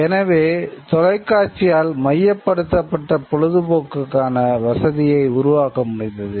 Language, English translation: Tamil, So, television is able to create a provision for centralized entertainment